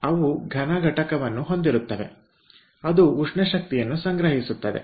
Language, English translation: Kannada, so they will have solid, solid component which can store, ah um, thermal energy